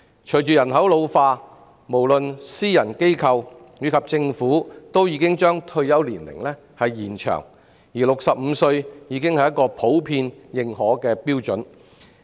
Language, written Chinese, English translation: Cantonese, 隨着人口老化，私人機構及政府均把退休年齡延長 ，65 歲已是普遍認可的標準。, In view of population ageing both private enterprises and the Government have extended retirement ages and 65 is generally considered as an acceptable retirement age